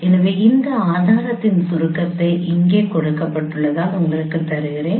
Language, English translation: Tamil, So let me just provide you the outline of this proof as it is given here